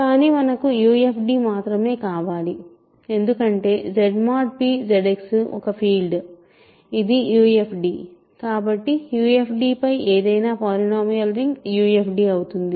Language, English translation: Telugu, Now, recall that Z mod p Z X is a UFD, right because it is a polynomial ring over a field